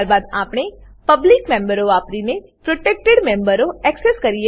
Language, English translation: Gujarati, Then we access the protected members using the public members